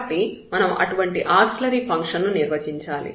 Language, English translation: Telugu, So, we need to define such an auxiliary function